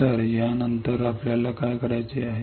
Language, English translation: Marathi, So, after this what we have to do